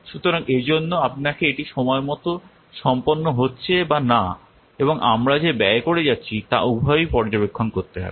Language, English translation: Bengali, So that's why you have to need to monitor both the achievements whether we are completing in time or not and the cost that we are spending